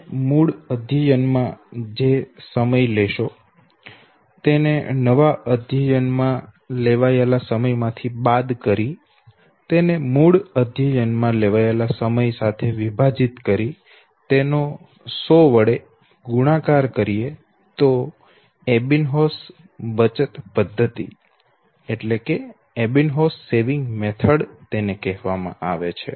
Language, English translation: Gujarati, So time taken originally and time taken in the next attempt divided by the time taken in the original learning and you multiplied by hundreds and he said this is what is called as Ebbinghaus saving method